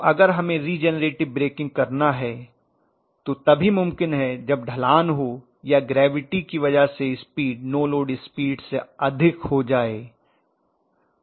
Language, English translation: Hindi, So naturally if regenerative has to take place, it has to have a slope or the gravity has to aid the velocity to become higher than the no load speed